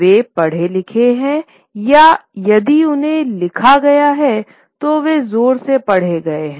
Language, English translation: Hindi, They are recited, or if they were written down they were read aloud